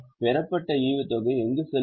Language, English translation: Tamil, Where will dividend received go